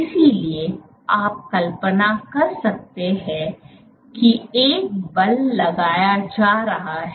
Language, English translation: Hindi, So, you can imagine a pushing force being exerted